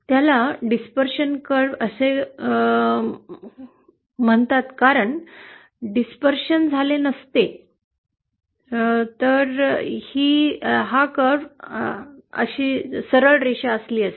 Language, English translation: Marathi, It is called as a dispersion curve because of this curve was a straight line like this, there would have been no dispersion